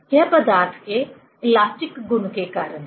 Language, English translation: Hindi, It is because of the elastic property of the material